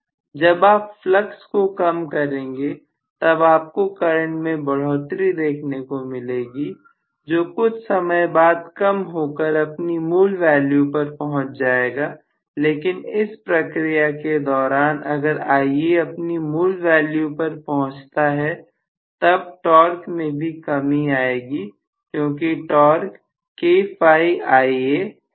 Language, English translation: Hindi, So invariably when you reduce the flux you will see a transient increase in the current which will eventually settles down at the original value itself but in the process if Ia settles down to the original value the torque has to drop because torque is K Phi Ia, Right